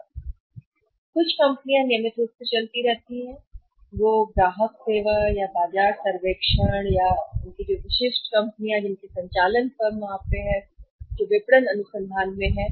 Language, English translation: Hindi, Regularly companies keep on conducting that customer service or the market survey and their specialised companies specialise firms are there who are into the marketing research